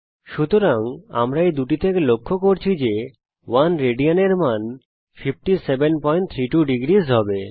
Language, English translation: Bengali, So we notice from these two that the value of 1 rad will be 57.32 degrees